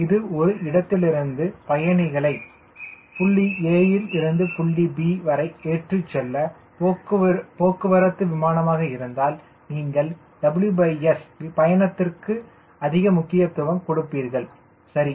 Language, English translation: Tamil, if it is a transport, the airplane for carrying passenger from point a to point b, then naturally you will give more weight is to w by s cruise, right